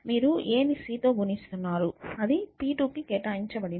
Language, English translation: Telugu, So, you are multiplying a with c and that is assigned to p2